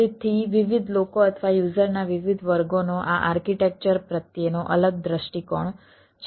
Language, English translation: Gujarati, so different people or different category of users are different view of this architecture